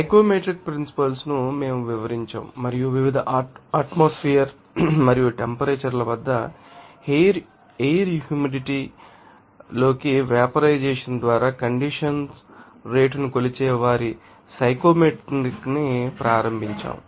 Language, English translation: Telugu, And you know that we have described that psychometry principles and also start their psychometry that measures the rate of condensation through evaporation into the air moisture at various atmospheric patients and temperatures